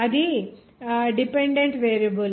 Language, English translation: Telugu, That is a dependent variable